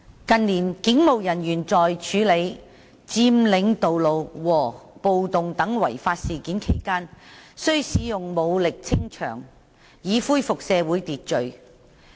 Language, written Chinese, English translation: Cantonese, 近年，警務人員在處理佔領道路和暴動等違法事件期間需使用武力清場，以恢復社會秩序。, In the course of handling law - breaking incidents such as road occupations and riots in recent years it has been necessary for police officers to use force to clear the scene in order to restore social order